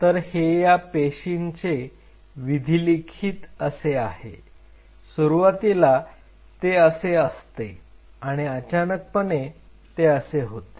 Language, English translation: Marathi, So, the fate of these cells is like this initially they are like this and eventually they become something like this